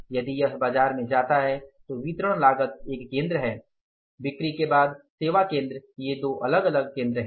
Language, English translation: Hindi, If it goes to the market then distribution cost is the one center, sales after sales service these are the two different centers